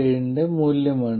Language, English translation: Malayalam, 7 that is about 0